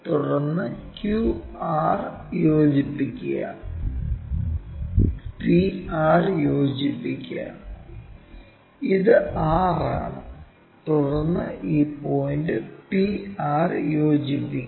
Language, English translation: Malayalam, Then join q r and join p r; this is r and then join this point p and r